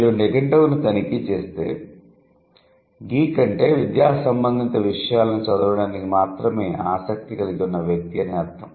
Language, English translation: Telugu, If you check the dictionary the meaning of geek is somebody who just reads, who has only been interested in reading and academic stuff